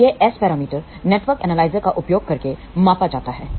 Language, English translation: Hindi, So, this S parameters are measured using network analyzer